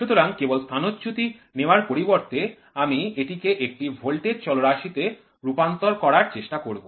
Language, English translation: Bengali, So, instead of trying to take only displacement I will try to convert this in to a voltage parameter